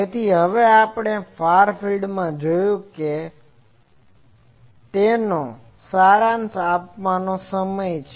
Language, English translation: Gujarati, So, now, is the time for summarizing what we have seen in the far field